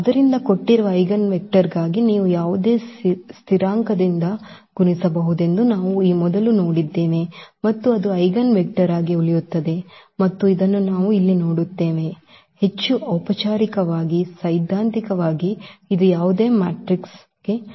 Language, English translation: Kannada, So, this we have also seen before that for the given eigenvector you can multiply by any constant and that will also remain the eigenvector and this is what we will see here, and more formally theoretically that this is true for any matrix